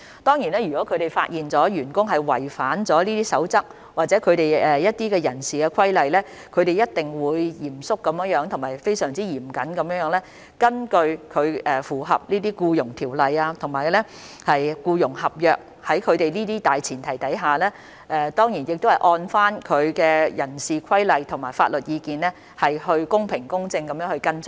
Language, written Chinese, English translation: Cantonese, 當然，如果醫管局發現有員工違反這些守則或人事規例，他們一定會嚴肅和嚴謹地處理，在符合《僱傭條例》和僱傭合約等的大前提下，當然亦會按照人事規例和法律意見，公平、公正地跟進。, Certainly if HA discovers there is violation of these codes or human resources regulations by its staff members HA will in compliance with the Employment Ordinance and the employment contracts etc deal with the matter seriously and prudently and follow it up in accordance with the relevant human resources regulations and legal advice in a fair and impartial manner